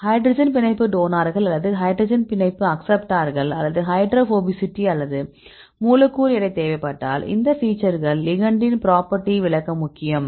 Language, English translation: Tamil, If you need the hydrogen bond donor or hydrogen bond acceptoror the hydrophobicity right or molecular weight these features are important to explain the property of in ligand